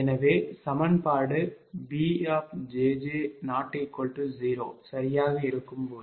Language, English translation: Tamil, this is only when bjj equal to zero